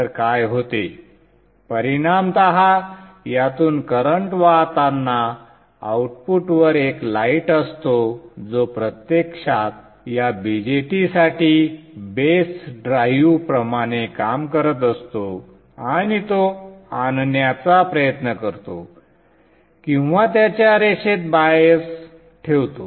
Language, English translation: Marathi, So what happens in effect is that as the current flows through this, there is a light output which is actually acting like a base drive for this BGET and tries to bring it or bias it to its linear region